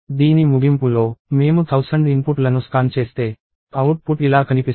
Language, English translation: Telugu, So, at the end of this; if I scan thousand inputs, the output would look something like this